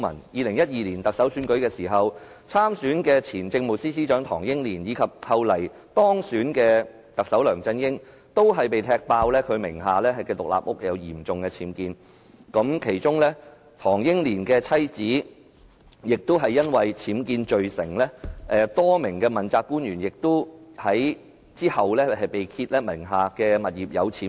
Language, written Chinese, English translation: Cantonese, 2012年，參選特首選舉的前政務司司長唐英年及後來當選的特首梁振英，均被“踢爆”名下獨立屋有嚴重僭建，唐英年妻子更被判僭建罪成，其後多名問責官員亦被揭發名下物業有僭建。, In 2012 Henry TANG the then Chief Secretary for Administration who ran for the Chief Executive election and LEUNG Chun - ying who was subsequently elected the Chief Executive were both uncovered to have major UBWs in their houses . Henry TANGs wife was even found guilty of having UBWs . Since then a number of accountability officials were also revealed to have UBWs in their residence